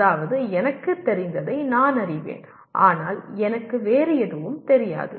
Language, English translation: Tamil, That is I know what I know but I do not know something else